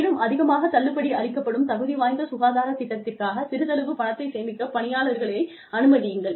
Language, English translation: Tamil, And, you let individuals, save money for a qualified health plan, that has a high deductible